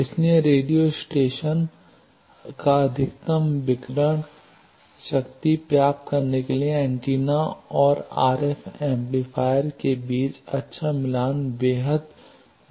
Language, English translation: Hindi, So, good match between antenna and r f amplifier is extremely important to radio stations to get maximum radiated power